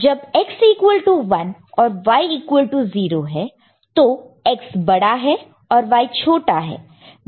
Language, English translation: Hindi, So, X is equal to 0 and Y is equal to 1